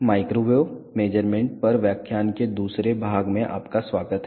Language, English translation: Hindi, Welcome to the second part of the lecture on Microwave Measurements